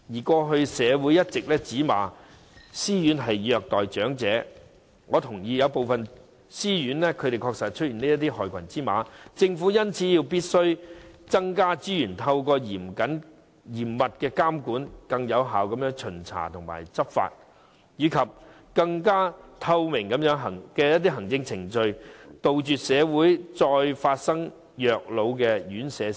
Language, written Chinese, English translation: Cantonese, 過去，社會一直指責私營院舍虐待長者，我認同有部分私營院舍確實有害群之馬，因此政府必須增加資源，透過嚴密的監管、更有效的巡查和執法，以及更透明的行政程序，防止社會再發生院舍虐老事件。, In the past the community has condemned self - financing RCHEs for abusing the elderly . I agree that there are black sheep in certain self - financing RCHEs . Hence the Government must allocate additional resources for the adoption of more stringent regulation effective inspection and law enforcement and more transparent administrative procedures so as to prevent the recurrence of elder abuse